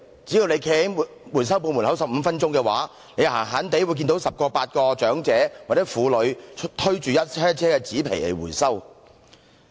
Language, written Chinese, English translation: Cantonese, 只要站在回收店門外15分鐘，經常也會看到十名八名長者或婦女推着一車車的紙皮前來回收。, As long as we stand at the entrance to a recycling shop for 15 minutes we will often see 8 or 10 elderly people or women pushing carts of carton paper for recovery